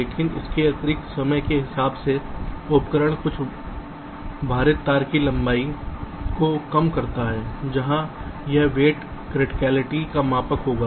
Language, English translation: Hindi, the tool can also minimize the total weighted wire length, where this weight will be a measure of the criticality